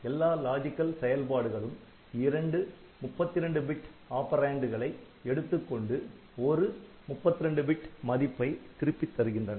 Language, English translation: Tamil, So, we can do logical operation then all operations they take 2, 32 bit operands and return one 32 bit value